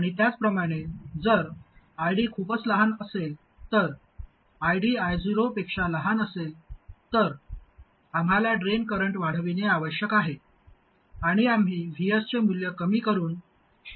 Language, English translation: Marathi, And similarly, if ID is too small, if ID is smaller than I 0, then we must increase the drain current and we do that by reducing the value of VS